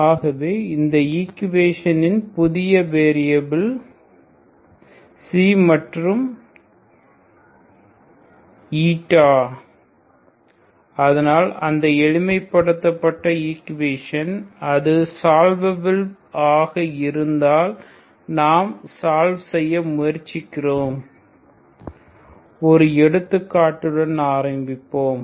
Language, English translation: Tamil, So in equation in new variables Xi and eta so that if that is simplified equation if it is solvable will try to solve ok, so that is what will see, you start with an example